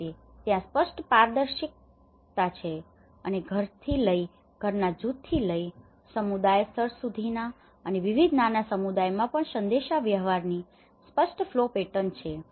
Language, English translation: Gujarati, In that way, there is a clear transparency and there is a clear the flow pattern of the communication from starting from a household to group of households to the community level and also, you know across various smaller communities